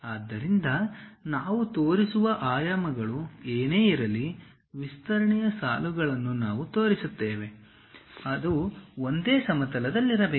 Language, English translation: Kannada, So, whatever the dimensions we will show, extension lines we will show; they should be in the same plane